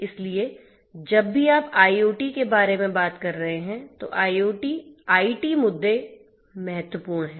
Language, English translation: Hindi, So, whenever you are talking about IoT, then IT issues are important